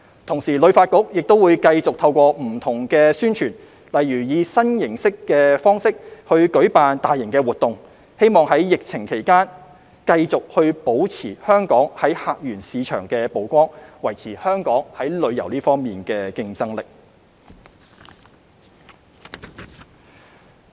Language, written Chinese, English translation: Cantonese, 同時，旅發局亦會繼續透過不同的宣傳，例如以新形式舉辦大型活動，希望在疫情期間繼續保持香港在客源市場的曝光，維持香港在旅遊方面的競爭力。, At the same time HKTB will continue to promote Hong Kong through various means such as adopting new formats for organizing mega events in the hope of maintaining Hong Kongs exposure in the visitor source markets during the epidemic and maintaining the competitiveness of Hong Kong in terms of tourism